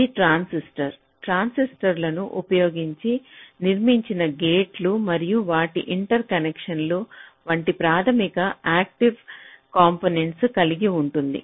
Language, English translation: Telugu, it contains the basic active components like the transistors, the gates which are built using transistors and their interconnections